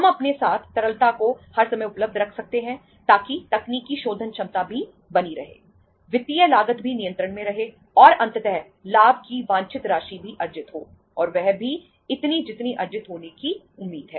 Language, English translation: Hindi, We can keep the liquidity all the times available with us so that technical solvency is also maintained, financial cost is also under control and ultimately the desired amount of the profit is also earned and that is also expected to be earned